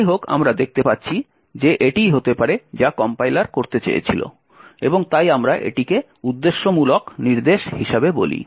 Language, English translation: Bengali, However, we see that this is may be what the compiler had intended to do and therefore we call this as intended instructions